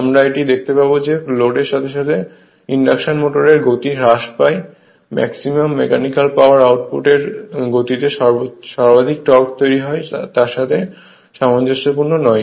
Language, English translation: Bengali, We will see this see the speed of the induction motor reduces with load the maximum mechanical power output does not correspond to the speed that is the slip at which maximum torque is developed